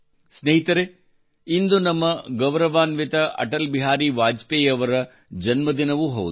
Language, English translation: Kannada, Friends, today is also the birthday of our respected Atal Bihari Vajpayee ji